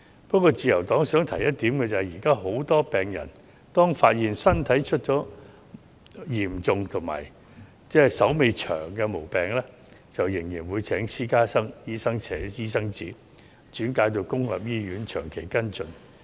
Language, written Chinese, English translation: Cantonese, 不過，自由黨想指出一點，現時許多病人當發現身體出現嚴重及須長期診治的毛病時，仍會請私家醫生寫轉介信，轉到公營醫院作長期跟進。, However the Liberal Party wishes to highlight that at present many patients will still ask private doctors for referral letters to public hospitals for long - term medical care when they are detected to have any serious illnesses requiring long - term treatment